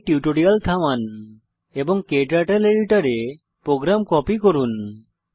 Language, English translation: Bengali, Please pause the tutorial here and copy the program into your KTurtle editor